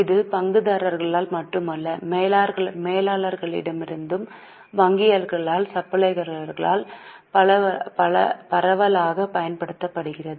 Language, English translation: Tamil, This is extensively used not only by shareholders but by managers, also by bankers, by suppliers and so on